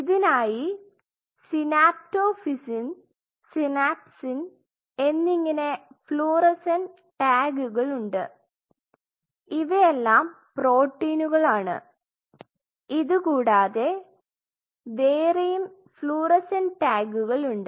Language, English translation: Malayalam, So, there are fluorescent tags synaptophysin and synapsin, synaptophysin, these are the proteins which are present there synaptophysin synapsin there are several others